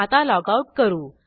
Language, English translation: Marathi, Let us logout now